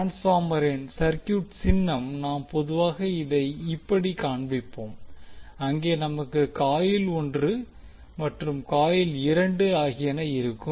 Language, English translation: Tamil, The circuit symbol of the transformer we generally show like this where we have the coil one and two